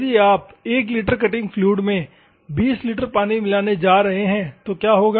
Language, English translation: Hindi, If you are going to mix 20 litres of water with 1 litre of cutting fluid, what will happen